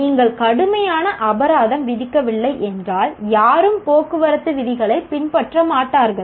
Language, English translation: Tamil, If you don't put fines, heavy fines, nobody will follow the traffic rule